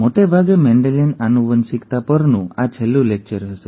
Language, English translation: Gujarati, This will most likely be the last lecture on Mendelian genetics